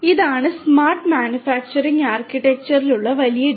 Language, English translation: Malayalam, This is this big data driven smart manufacturing architecture